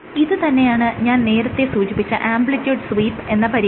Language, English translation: Malayalam, So, this experiment is called an amplitude sweep experiment